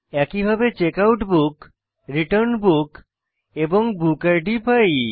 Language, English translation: Bengali, Similarly we get checkout book, return book and book id